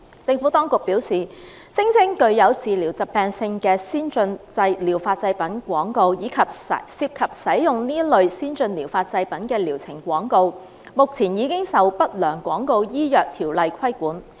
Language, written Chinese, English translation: Cantonese, 政府當局表示，聲稱具有治療疾病特性的先進療法製品廣告，以及涉及使用這類先進療法製品的療程廣告，目前已受《不良廣告條例》規管。, The Administration advised that advertisements of ATPs which claimed to have properties for treating diseases and advertisements of treatments involving the use of such ATPs were already subject to the regulation of the Undesirable Medical Advertisements Ordinance